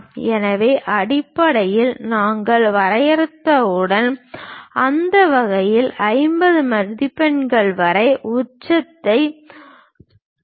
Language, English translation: Tamil, So, base once we have defined, along that line up to 50 marks point the peak